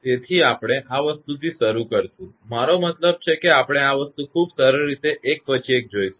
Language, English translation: Gujarati, So, we will start this thing I mean we will see step by step in a very simple manner